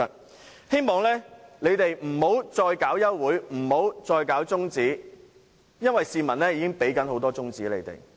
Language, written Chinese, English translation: Cantonese, 我希望他們不要再提出休會辯論和中止待續議案，因為市民已給他們很多"中指"了。, I hope that they will no longer propose any adjournment debate or adjournment motion because many members of the public have already given them the finger